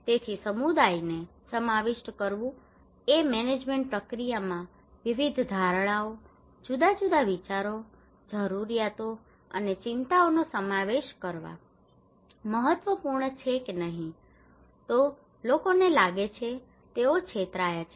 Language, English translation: Gujarati, So involving community is important in order to incorporate different perceptions, different ideas, needs, and concerns into the management process otherwise people feel that they are cheated